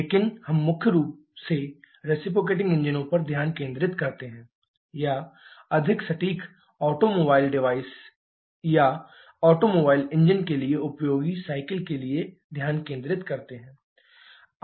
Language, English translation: Hindi, But we primarily focus on the reciprocating engines or to be more precise automobile devices or cycles suitable for automobile engine